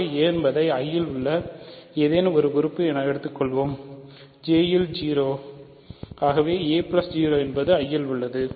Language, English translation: Tamil, So, a can be written as something in I plus something in J namely 0, so, a plus 0 is in I